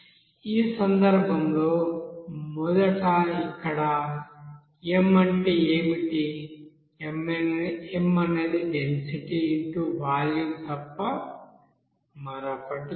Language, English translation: Telugu, In this case first of all what is m here; m is nothing but density into volume